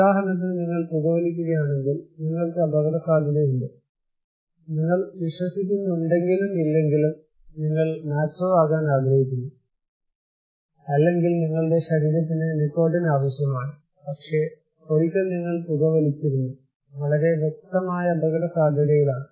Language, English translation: Malayalam, For example here, if you are smoking you are at risk, you believe or not you may be doing it because you want to be macho, or your body needs nicotine, but once you were smoking you are at risk that is very clear